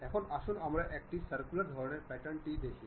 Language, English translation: Bengali, Now, let us look at circular kind of pattern